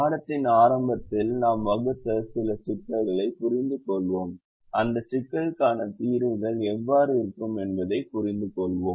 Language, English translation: Tamil, we'll also try and solve some of the problems that we formulated at the very beginning of the course to understand how the solutions to those problems look like